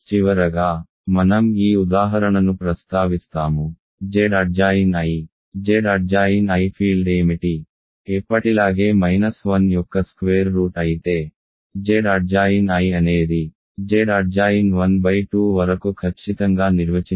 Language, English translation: Telugu, And I will finally, mention this example: what is the fraction field of Z adjoined i ok, Z adjoined i where i is a square root of minus 1 as always, Z adjoined i is simply defined exactly as far as the case of Z adjoined 1 by 2